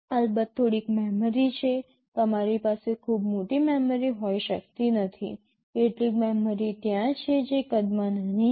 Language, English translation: Gujarati, There is some memory of course, you cannot have very large memory, some memory is there that is small in size